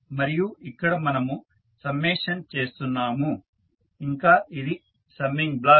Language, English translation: Telugu, And we are summing up here that is summing block